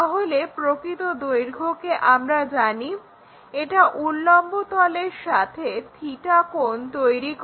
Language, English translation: Bengali, So, true length we know with theta angle with the vertical plane construct it